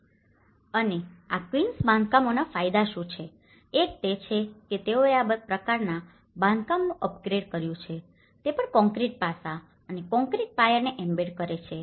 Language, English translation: Gujarati, And what are the benefits of this quince constructions; one is they have upgraded this type of construction also embedded the concrete aspect and the concrete foundations